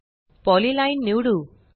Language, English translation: Marathi, Let us select the polyline